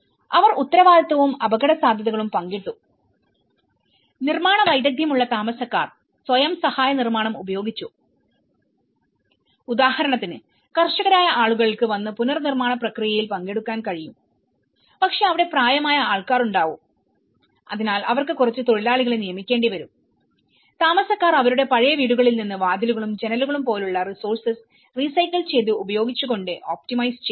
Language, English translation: Malayalam, They just shared responsibility and risks, residents that had construction skills used self help construction, for example, people who are farmers, they could able to come and participate in the reconstruction process but there is the elderly people they are able to hire some labourers, residents optimized the use of resources by using the recycled material like from their old houses they use the doors, windows